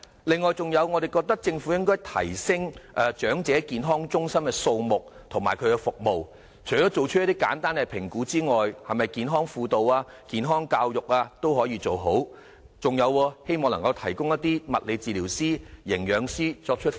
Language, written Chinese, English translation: Cantonese, 此外，我們覺得政府應該提升長者健康中心的數目及服務，除了作出一些簡單的評估之外，也可以做健康輔導、健康教育，以及提供物理治療師、營養師輔導長者。, Can the Government consider lowering the threshold? . Moreover we hold that the Government should increase the number of EHCs and enhance their services . Apart from conducting simple health assessments EHCs can also conduct health counselling health education with the help of physiotherapists and dieticians